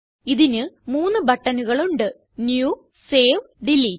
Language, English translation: Malayalam, It has three buttons New, Save and Delete